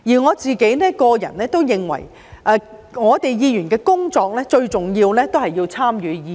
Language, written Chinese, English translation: Cantonese, 我個人認為，議員最重要的工作，是參與議事。, In my opinion the most important task of a Member is engagement in policy discussion